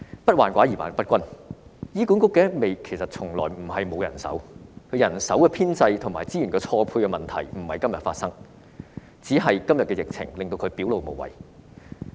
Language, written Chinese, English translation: Cantonese, 不患寡而患不均，醫管局從來不是沒有人手，而人手編制和資源錯配的問題不是今天發生，只是今天的疫情令問題表露無遺。, HA has never been in lack of manpower but there have been long - standing problems with its staff establishment and mismatch in resources yet such problems have only become so obvious amid the current epidemic outbreak